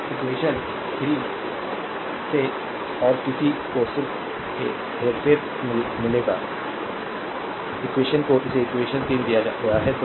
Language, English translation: Hindi, Now, from equation 3, and one you will get just just manipulate, right equation one it is given equation your 3 it is there